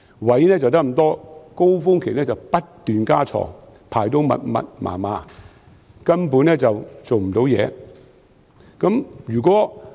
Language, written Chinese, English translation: Cantonese, 醫院只有這麼多空間，但高峰期時卻不斷增加病床，排列得密密麻麻，根本不能工作。, In the limited space of hospitals beds are added continuously during peak seasons and doctors can hardly work in the wards fully packed with beds